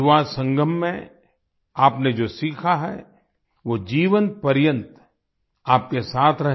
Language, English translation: Hindi, May what you have learntat the Yuva Sangam stay with you for the rest of your life